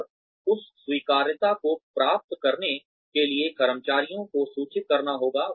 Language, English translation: Hindi, And, in order to get that acceptability, one has to inform the employees